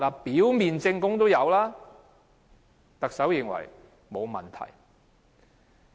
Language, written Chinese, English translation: Cantonese, 表面證供已經成立，但特首認為沒有問題。, There is a prima facie case but the Chief Executive opines that there is no problem